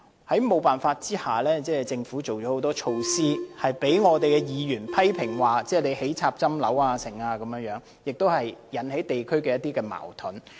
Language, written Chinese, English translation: Cantonese, 在沒有辦法的情況下，政府提出很多措施，例如興建被議員批評的"插針樓"等，引起地區的一些矛盾。, Having no other choice the Government has proposed a series of measures such as constructing infill buildings which has triggered criticism from Members and conflicts in the districts